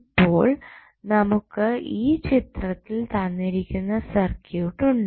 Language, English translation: Malayalam, So, we have the circuit given in the figure